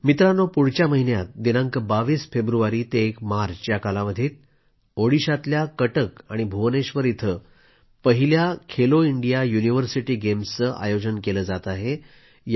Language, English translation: Marathi, Friends, next month, the first edition of 'Khelo India University Games' is being organized in Cuttack and Bhubaneswar, Odisha from 22nd February to 1st March